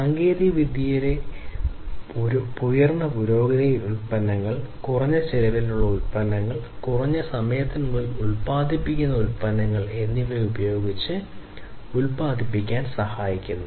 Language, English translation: Malayalam, So, advancement in technology basically facilitates manufacturing with higher quality products, lower cost products and products which are manufactured in reduced time